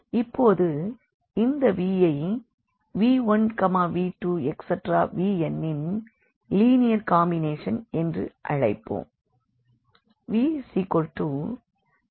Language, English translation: Tamil, Then we call that this v is a linear combination of the vectors v 1, v 2, v 3, v n